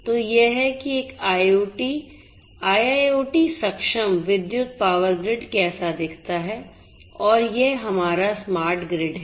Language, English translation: Hindi, So, this is how a an IIoT enabled electrical power grid is going to look like and this is our smart grid